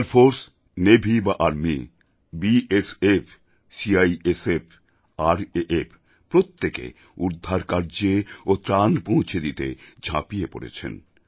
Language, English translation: Bengali, The Air Force, Navy, Army, BSF, CISF, RAF, every agency has played an exemplary role in the rescue & relief operations